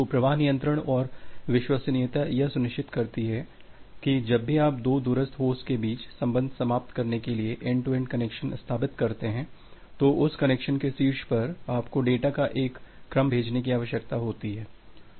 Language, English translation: Hindi, So, the flow control and reliability ensures that whenever you have established certain end to end connection between the two remote host, so on top of that connection, now you need to send a sequence of data